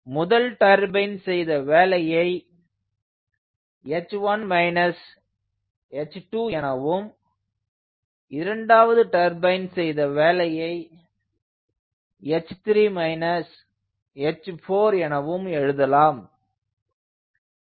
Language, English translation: Tamil, the first work will be h one minus h two, work by the second turbine, that will be h three minus h four